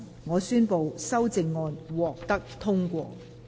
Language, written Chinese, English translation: Cantonese, 我宣布修正案獲得通過。, I declare the amendments passed